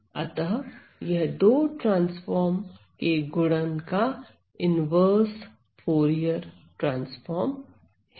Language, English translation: Hindi, So, that is another definition of the Fourier inverse and the Fourier transforms